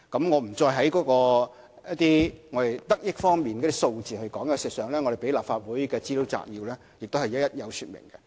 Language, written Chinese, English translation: Cantonese, 我不再說得益方面的數字，事實上，提交予立法會的資料摘要已一一說明。, I will not go any further on the data on the benefits . In fact these data are provided in the Legislative Council Brief we submitted